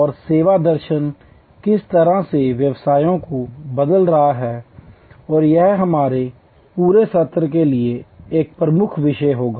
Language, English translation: Hindi, And how the service philosophy is changing businesses all across and that will be a core topic for our entire set of sessions